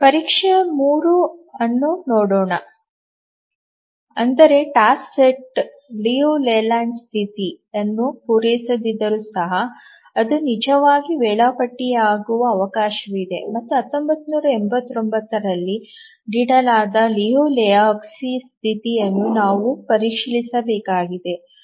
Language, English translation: Kannada, Even if a task set doesn't meet the Liu Leyland condition, there is a chance that it may actually be schedulable and we need to check at Liu Lehochki's condition